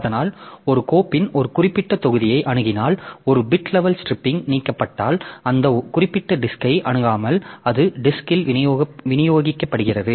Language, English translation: Tamil, So, that means if you are accessing one particular block of a file then if in a bit level splitting you stripping so you are not accessing that particular disk again and again so it is distributed over the disk